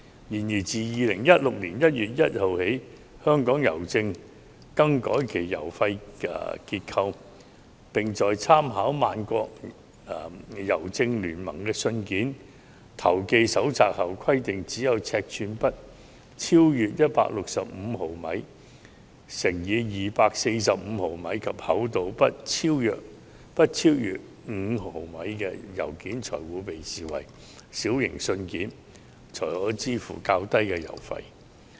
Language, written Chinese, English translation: Cantonese, 然而，自2016年1月1日起，香港郵政更改了郵費結構，並在參考萬國郵政聯盟的信件投寄手冊後規定，只有尺寸不超逾165毫米乘以245毫米，以及厚度不超逾5毫米的信件才會被視為"小型信件"，可以支付較低郵費。, However since 1 January 2016 Hongkong Post has introduced changes to its postage structure with reference to the Universal Postal Union Letter Post Manual such that only letters not exceeding 165 mm x 245 mm in size and 5 mm in thickness would be treated as small letters and subject to the lower postage fee